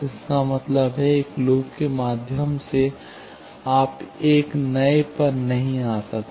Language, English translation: Hindi, That means, through a loop, you cannot come to a new one